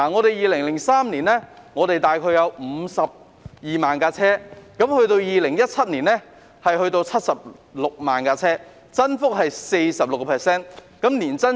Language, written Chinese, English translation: Cantonese, 在2003年，香港大概有52萬部車輛 ，2017 年有76萬部，增幅是 46%， 年增長是 3%。, The number of vehicles in Hong Kong was some 520 000 in 2003 and some 760 000 in 2017 an increase of 46 % or an annual increase of 3 %